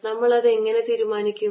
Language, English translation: Malayalam, how do we decided that